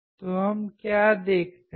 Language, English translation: Hindi, So, what do we see